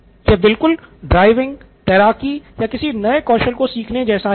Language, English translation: Hindi, This is about just like driving, swimming or new skills that you have learnt